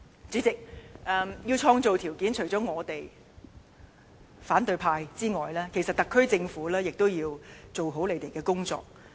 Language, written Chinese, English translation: Cantonese, 主席，要創造條件，除了我們與反對派之外，其實特區政府亦都要做好他們的工作。, President to create the right conditions apart from us and the opposition camp the SAR Government also has to do its work